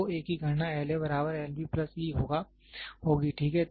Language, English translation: Hindi, So, calculation of a will be L A equal to L B plus e, ok